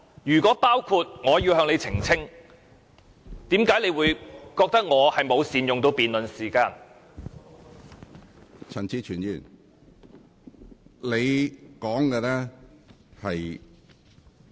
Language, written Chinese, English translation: Cantonese, 如果包括，我要求你澄清，何故你會認為我沒有善用辯論時間？, If so I seek an elucidation from you as to why you consider that I have not made good use of the time in the debate?